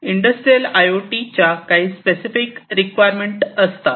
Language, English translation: Marathi, For industrial IoT there are certain specific requirements